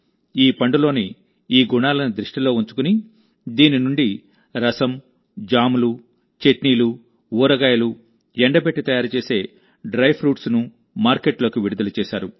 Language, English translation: Telugu, In view of these qualities of this fruit, now the juice of Bedu, jams, chutneys, pickles and dry fruits prepared by drying them have been launched in the market